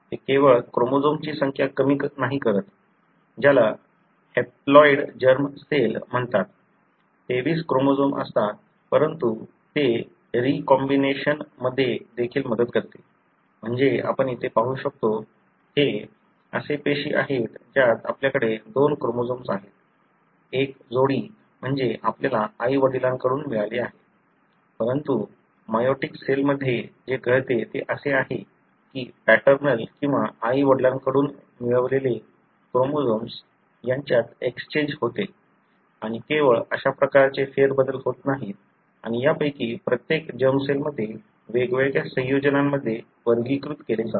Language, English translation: Marathi, It not only reduces the number of chromosomes making what is called as haploid germ cells, having 23 chromosomes, but it also helps in the recombination, meaning as you can see here, these are the cells wherein you have the two chromosome, one pair, meaning the one that you got from mother and father, but in the meiotic cell what happens is that there are exchanges that take place between the paternal or the chromosome derived from father and mother and not only such kind of shuffling takes place and each of this are sorted into different combinations in the germ cells